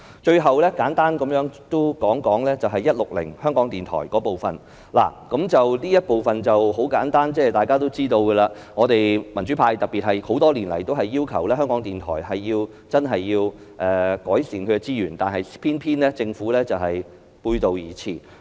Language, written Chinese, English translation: Cantonese, 最後，我亦簡單談談"總目 160― 香港電台"，這部分很簡單，是大家都知道的，我們民主派多年來均要求改善香港電台的資源，偏偏政府背道而馳。, Lastly I would also talk about Head 160―Radio Television Hong Kong briefly . This part is very simple and everyone knows that we in the pro - democracy camp have been requesting the Government to improve the resources of Radio Television Hong Kong RTHK for years but the Government has just run in the opposite direction . We all know that most of the reasons are political nothing else matters